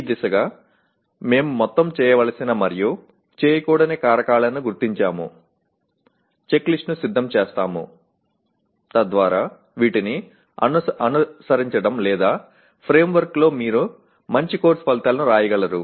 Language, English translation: Telugu, Towards this we will identify whole set of factors or do’s and don’ts and prepare the check list so that following or in the framework of all this you can write good course outcomes